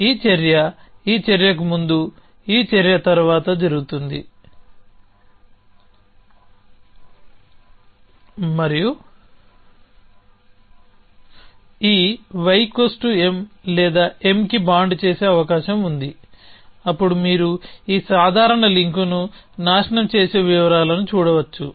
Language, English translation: Telugu, So, this action happens after this action an before this action and there is the possibility that this y I can we made equal to M or bond to M then you can see the details destroying this casual link